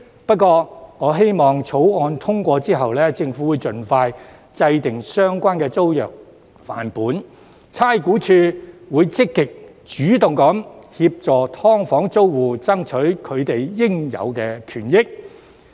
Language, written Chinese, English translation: Cantonese, 不過，我希望在《條例草案》通過後，政府會盡快制訂相關租約範本，而差估署亦會積極主動協助"劏房"租戶爭取應有權益。, However I hope that after the passage of the Bill the Government will formulate a model tenancy agreement as soon as possible and RVD will proactively assist SDU tenants in fighting for their rights